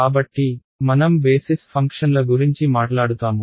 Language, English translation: Telugu, So, we will talk about basis functions